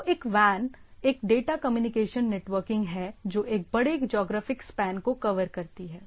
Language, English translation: Hindi, So, a WAN is a data communication networking covering a large geographic span